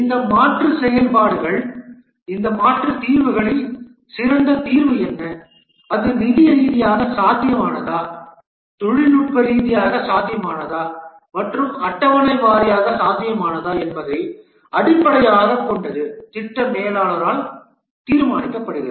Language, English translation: Tamil, What is the best solution among these alternate solutions and based on that whether it is financially feasible, technically feasible and schedule wise feasible is determined the project manager